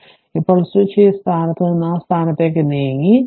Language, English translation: Malayalam, So, now switch has moved from this position to that position right